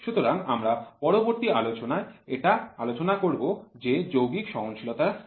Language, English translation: Bengali, So, we will continue it in the next lecture what is compound tolerance and continue